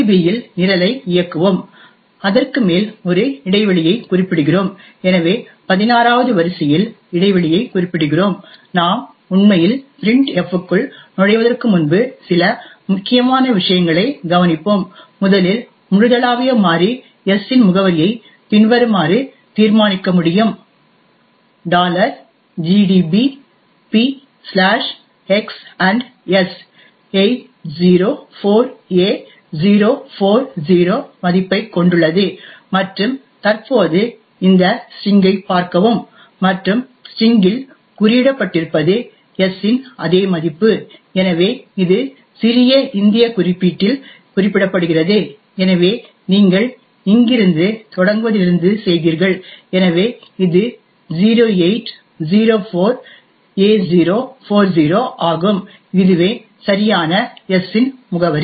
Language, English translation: Tamil, So let us run the program in gdb we specify a break point over so we specify break point at line 16 and before we actually enter into the printf we will take note of a few important things, first the address of the global variable s can be determined as follows p/x &s which has a value of 804a040 and look at this string present over here and what has been encoded in the string is exactly the same value of the s, so this is represented in little Indian notation therefore you did it from the from starting from here so it is 0804a040 which exactly is the address of s